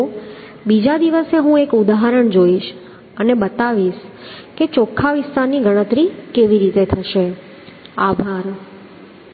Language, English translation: Gujarati, So next day I will go through one example and we will show how the net area is going to be calculated